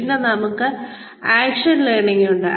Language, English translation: Malayalam, Then, we have action learning